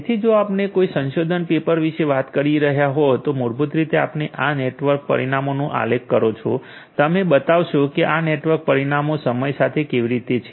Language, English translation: Gujarati, So, if you are talking about a research paper then basically you plot these network parameters you so, how these network parameters very with respect to time and